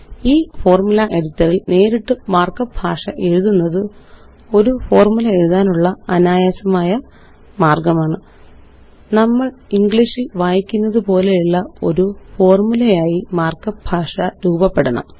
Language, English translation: Malayalam, But directly writing the mark up language in the Formula Editor is a faster way of writing a formula Because markup language for a formula resembles the way we would read the formula in English